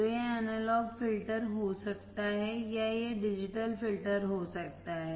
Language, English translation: Hindi, So, it can be analog filters or it can be digital filters